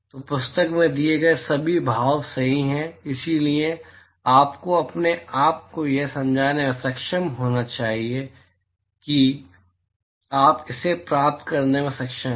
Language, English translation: Hindi, So, all the expressions given in the book are right, so, you should be able to convince yourself that you are able to derive it